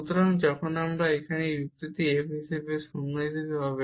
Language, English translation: Bengali, So, when we have this argument here in f as 0